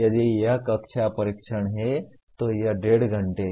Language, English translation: Hindi, If it is class test, it is one and a half hours